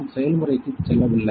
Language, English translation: Tamil, We did not move to the process